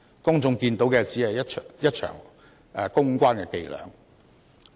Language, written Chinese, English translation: Cantonese, 市民見到的，只是一場公關伎倆。, What the public saw was just a public relations stunt